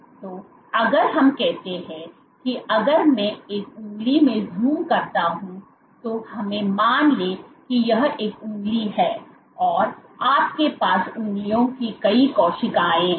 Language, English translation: Hindi, So, if let us say if I zoom into a finger let us assume you have this is a finger and you have multiple cells of the fingers so on and so forth these other cells